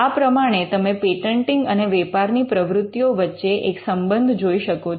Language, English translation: Gujarati, So, you will be able to see the connect between patenting as a business activity